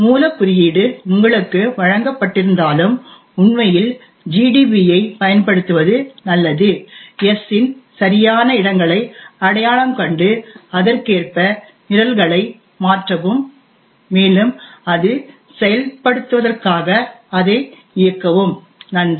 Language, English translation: Tamil, Therefore even though the source code is given to you it would be good to actually use gdb identify the exact locations of s modify the programs accordingly and then execute it in order to get it to work, thank you